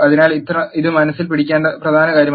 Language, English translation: Malayalam, So, this is something important to bear in mind